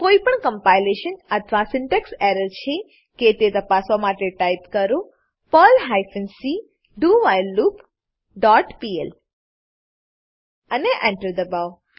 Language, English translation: Gujarati, Type the following to check for any compilation or syntax error perl hyphen c whileLoop dot pl and press Enter